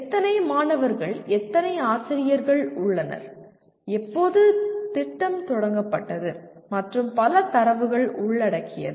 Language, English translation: Tamil, How many students, how many faculty are there, when did the program start and so on and on